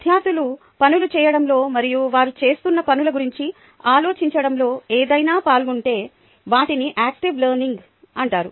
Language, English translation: Telugu, anything that involves students in doing things and thinking about the things they are doing is called active learning